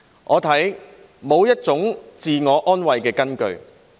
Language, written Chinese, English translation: Cantonese, 我看沒有這種自我安慰的根據。, I see no grounds for taking comfort in that notion